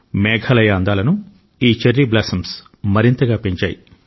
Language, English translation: Telugu, These cherry blossoms have further enhanced the beauty of Meghalaya